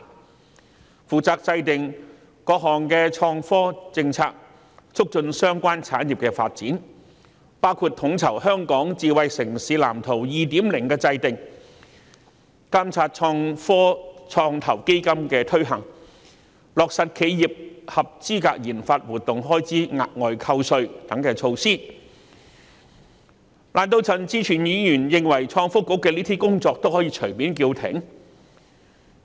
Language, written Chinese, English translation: Cantonese, 該局負責制訂各項創科政策，促進相關產業發展，包括統籌《香港智慧城市藍圖 2.0》的制訂、監察創科創投基金的推行情況，以及落實企業合資格研發活動開支額外扣稅等措施，難道陳志全議員認為創新及科技局的上述工作是可以隨便叫停的嗎？, The Bureau is responsible for formulating various policies in relation to IT and promoting the development of the related industries including coordinating the formulation of the Smart City Blueprint for Hong Kong 2.0 monitoring the implementation of the Innovation and Technology Venture Fund as well as implementing measures such as enhanced tax deduction for expenditure incurred by enterprises on qualified research and development RD activities . Does Mr CHAN Chi - chuen reckon that the aforesaid work undertaken by the Innovation and Technology Bureau can be suspended casually?